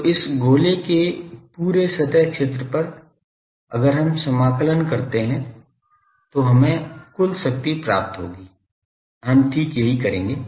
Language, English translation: Hindi, So, over the whole surface area of this sphere, if we can integrate will get the total power exactly we will do that